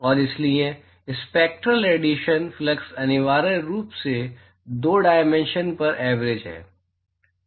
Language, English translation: Hindi, And so, spectral hemispherical flux is essentially, averaging over the two dimensions